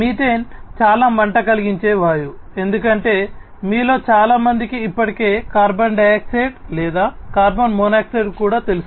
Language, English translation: Telugu, Methane is a highly inflammable gas, as most of you already know carbon dioxide or carbon monoxide can also cause fatalities